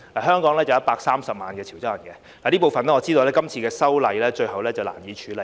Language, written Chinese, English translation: Cantonese, 香港有130萬潮州人，這部分我知道今次修例最後難以處理。, There are 1.3 million Chiu Chow people in Hong Kong and I know that in the end this part can hardly be dealt with in this amendment exercise